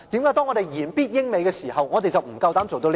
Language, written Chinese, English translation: Cantonese, 為何我們言必英、美時，我們不夠膽做到這一步？, When they are so used to drawing references from the United Kingdom and the United States why do they dare not do the same?